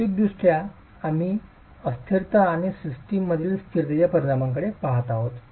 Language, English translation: Marathi, Physically we are looking at instability and the effect of instability in the system